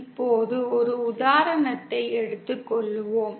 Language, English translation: Tamil, Now let us take an example